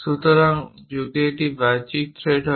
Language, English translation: Bengali, So, those threads what you call external threads